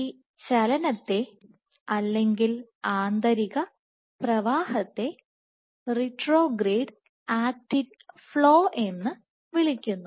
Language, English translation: Malayalam, So, this motion inward flow is referred to as retrograde actin flow